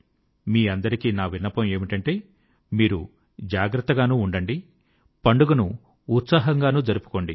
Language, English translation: Telugu, I urge all of you to take utmost care of yourself and also celebrate the festival with great enthusiasm